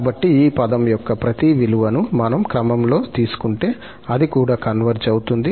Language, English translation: Telugu, So, if we just take the absolute value of each of this term in the sequence, then that also converges